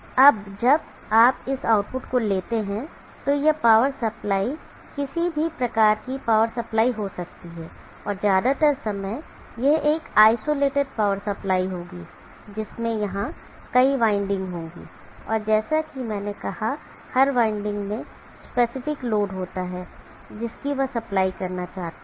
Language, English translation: Hindi, Now when you take on this output side this power supply can be any type of power supply and most of the time this will be an isolated power supply which will have multiple windings here and each other winding has I said specific load that they need to supply for example the 3